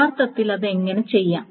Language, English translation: Malayalam, So how to actually do it